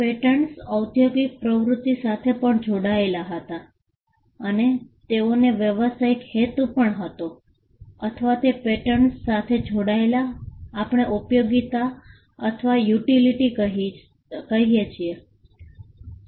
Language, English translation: Gujarati, Patents also tied to industrial activity and they had to be a commercial purpose or what we call usefulness or utility tied to patents